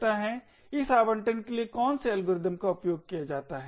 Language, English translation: Hindi, What are the algorithms used for this allocation